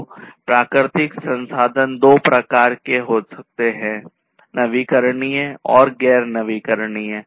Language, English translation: Hindi, So, natural resources can be of two types, the renewable ones and the non renewable ones